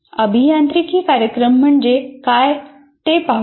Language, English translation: Marathi, Let's see what engineering programs are